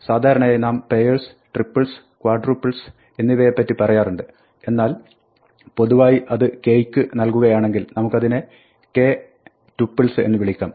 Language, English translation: Malayalam, Normally we talk about pairs, triples, quadruples, but in general when it goes to values of k we call them k tuples